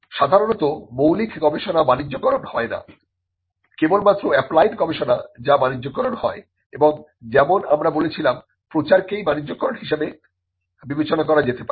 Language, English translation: Bengali, Normally basic research is not commercialized it is only the applied research that gets commercialized and as we said dissemination itself can be considered as commercialization